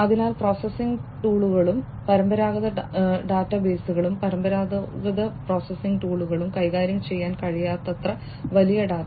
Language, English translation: Malayalam, So, data which is too big to be handled by processing tools and conventional databases, conventional processing tools, and conventional databases